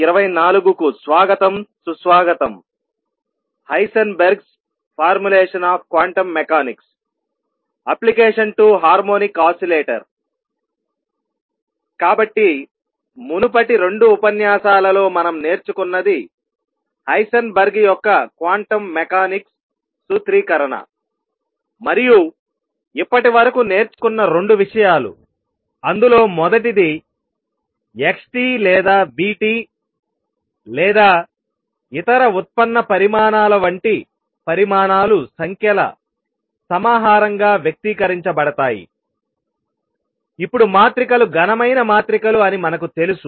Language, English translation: Telugu, So, what we have learnt in the previous 2 lectures is the Heisenberg’s formulation of quantum mechanics and 2 things that we have learned so far our number one that quantities like xt or vt or other derived quantities are to be expressed as a collection of numbers, which we now know are matrices solid as matrices